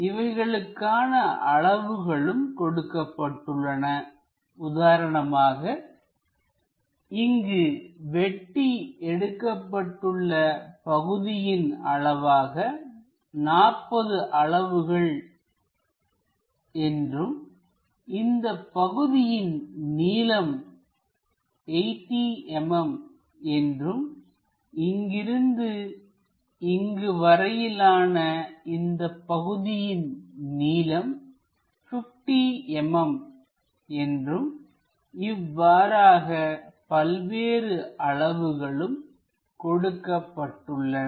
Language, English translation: Tamil, There are certain dimensions like, this slot supposed to be 40 units here and this length is 80 mm from here to there and this is something like 50 mm and so on different dimensions are given